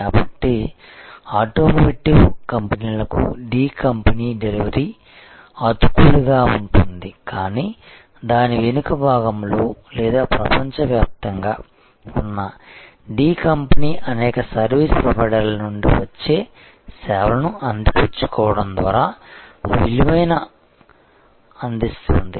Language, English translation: Telugu, So, to the automotive companies the D company’s delivery is seamless, but the D company at its back end or around the world will be delivering the value by leveraging the services coming from number of service providers